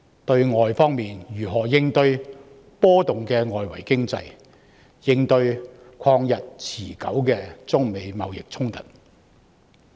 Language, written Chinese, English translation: Cantonese, 對外，我們如何應對波動的外圍經濟及曠日持久的中美貿易衝突？, Externally how do we tackle the fluctuating external economy and the long - lasting United States - China trade conflict?